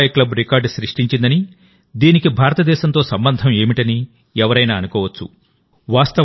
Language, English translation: Telugu, Anyone could think that if Dubai's club set a record, what is its relation with India